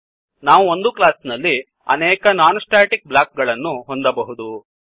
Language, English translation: Kannada, We can have multiple non static blocks in a class